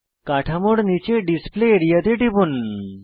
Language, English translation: Bengali, Click on the Display area below the structure